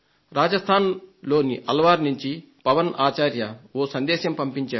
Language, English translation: Telugu, Pawan Acharya form Alwar, Rajasthan has sent me a message